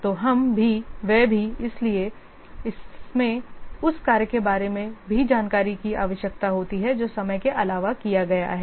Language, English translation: Hindi, So we also, they also, so it also requires information about the work that is being done in addition to the time that has been spent